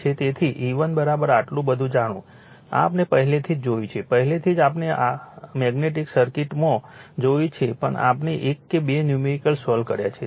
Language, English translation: Gujarati, So, you know E 1 is equal to this much, right this one already we have seen, already we have seen in magnetic circuit also we have solve one or two numerical